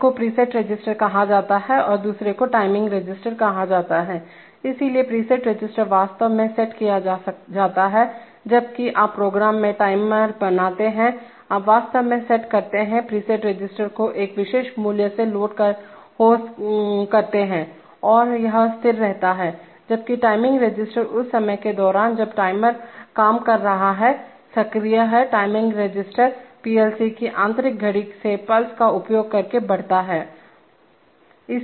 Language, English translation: Hindi, One is called the preset register and the other is called the timing register, so the preset register is actually set, whenever you create a timer in the program, you actually set the preset register gets loaded by a particular value and it stays fixed, while the timing register, during the time that the timer is working is active, the timing register keeps getting incremented using pulses from an internal clock of the PLC